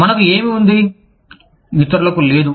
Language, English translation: Telugu, What do we have, that others, do not have